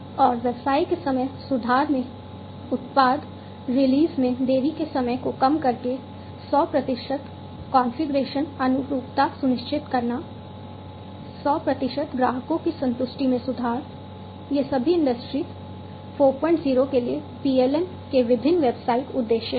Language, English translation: Hindi, And overall improvement of the business decreasing the delay time in product release ensuring 100 percent configuration conformity, improving 100 percent customer satisfaction, these are all the different business objectives of PLM for Industry 4